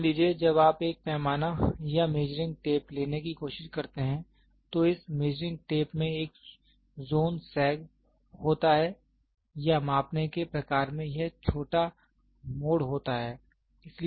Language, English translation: Hindi, Suppose, when you try to take a scale or a measuring tape this measuring tape has a zone sag or the measuring type has this small twist